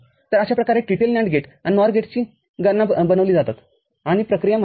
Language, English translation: Marathi, So, this is how the TTL NAND gates and NOR gates are prepared, and the operation is known